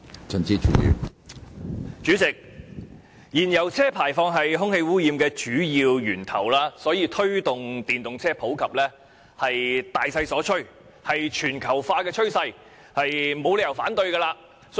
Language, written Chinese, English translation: Cantonese, 主席，燃油車排放是空氣污染的主要源頭，所以推動電動車普及是大勢所趨，是全球化趨勢，我們沒有理由反對。, President emissions from fuel - engined vehicles are the major source of air pollution . Therefore promoting the popularization of electric vehicles EVs is a major trend worldwide and we have no reason to raise objection